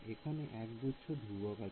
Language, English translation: Bengali, So, there are a whole bunch of constants over here right